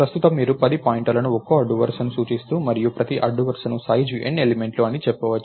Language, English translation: Telugu, So, right now you have lets say 10 pointers pointing to one row each and each row, is of size N elements